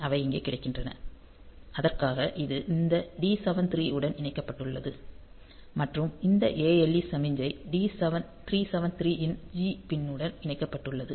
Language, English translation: Tamil, So, they are also available here; so, for that it is connected to this 373 and this ALE signals, so it is connected to the G pin of 373